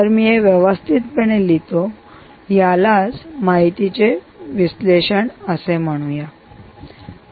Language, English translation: Marathi, so let me write it clean: ah, we will call it analysis data